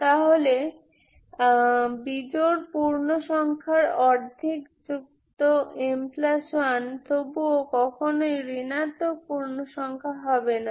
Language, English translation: Bengali, So half of odd integer plus m plus 1 is still, never be negative integer Ok whatever may be the case